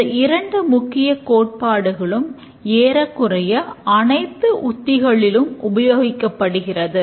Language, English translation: Tamil, These two important principles are used in almost every technique that we discuss in our lectures